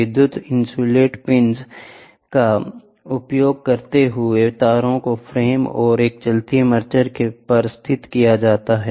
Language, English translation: Hindi, Using electrical insulating pins, the wires are located to the frame and a moving armature